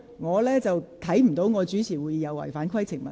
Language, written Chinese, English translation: Cantonese, 我看不到由我主持會議是不合乎規程。, I do not see I am out of order if I preside over the meeting